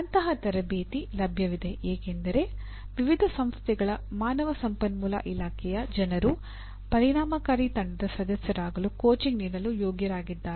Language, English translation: Kannada, Such coaching is available because the HR people of various organizations are equipped for coaching people to be effective team members